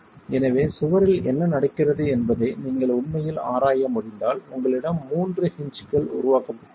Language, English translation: Tamil, So, if you can actually examine what is happening in the wall, you have three hinges that are developed